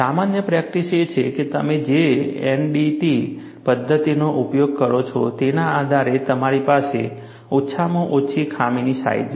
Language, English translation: Gujarati, General practice is, depending on the NDT methodology that we use, you have a minimum flaw size